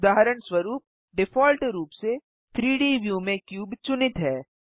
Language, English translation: Hindi, For example, the cube is selected by default in the 3D view